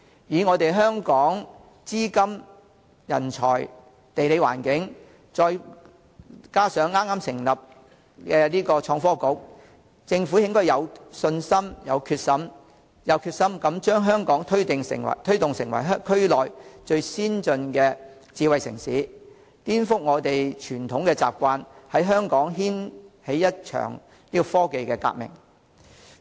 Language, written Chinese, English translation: Cantonese, 以香港的資金、人才、地理環境，再加上已成立的創新及科技局，政府應該有信心、有決心推動香港成為區內最先進的智慧城市，顛覆傳統習慣，在香港掀起一場科技革命。, Given the capital talent and geographical location of Hong Kong and coupled with the newly established Innovation and Technology Bureau the Government has the confidence and determination to promote the development of Hong Kong as the most advanced smart city in the region by breaking away from the conventions to initiate a scientific revolution in Hong Kong